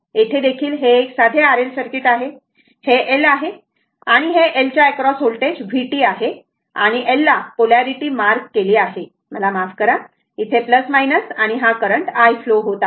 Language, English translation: Marathi, Here also, it is simple RL circuit, this is a L and voltage across L that is inductor is v t right and polarity is marked L, I sorry plus minus and this current i is flowing